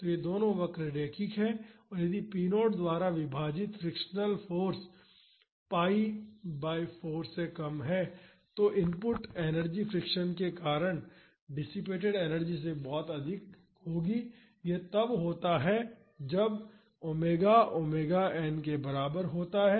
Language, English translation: Hindi, So, both these curves are linear and if the frictional force divided by p naught is less than pi by 4 then the input energy will be higher than the energy dissipated due to friction this is when omega is equal to omega n